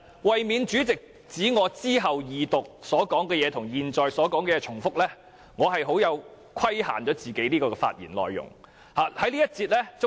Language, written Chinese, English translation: Cantonese, 為免主席指我稍後在二讀辯論的發言與現在的發言重複，我規限了這次發言的內容。, To avoid being criticized by the President that my remarks to be made at the Second Reading debate is the same as those made at present I will limit the scope of this speech